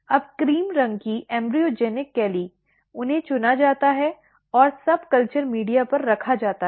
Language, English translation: Hindi, Now the cream colored embryogenic calli, they are selected and placed on the subculture media